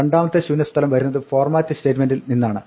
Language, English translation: Malayalam, The second blank comes from the format statement